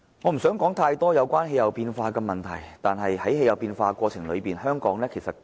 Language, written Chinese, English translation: Cantonese, 我不想談太多有關氣候變化的問題，但我覺得香港亦是氣候變化的受害者。, I do not want to speak too much about climate change but I feel that Hong Kong is also affected by climate change